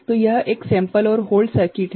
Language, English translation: Hindi, So, this is a sample and hold circuit